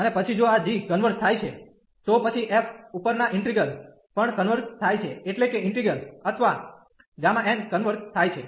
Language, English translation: Gujarati, And then if this g converges, then the integral over the f will also converge that means, the integral or the gamma n will converge